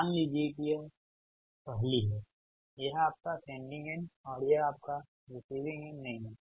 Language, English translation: Hindi, dont say this is your sending end and this is your receiving end